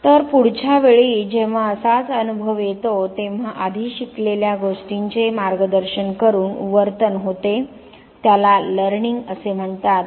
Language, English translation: Marathi, So, that next time when similar experience comes the behavior is by enlarge guided by whatever has already been learnt, this is called learning